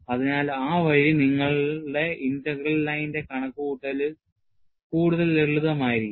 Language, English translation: Malayalam, So, that way, your computation of the line integral would be a lot more simpler